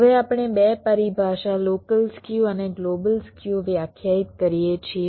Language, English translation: Gujarati, now we define two terminologies: local skew and global skew